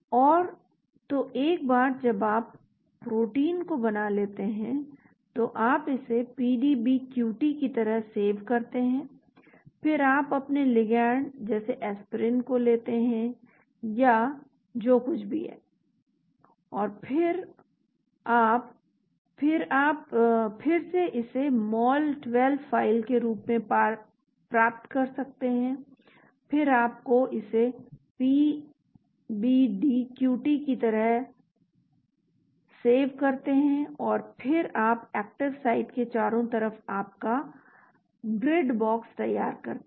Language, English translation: Hindi, And so once you have prepared the protein you save it as PDBQT then you take your ligand like Aspirin or whatever it is and then you, then you, again you can get it as a mol2 file then you save it as PBDQT and then you prepare your grid box around the active site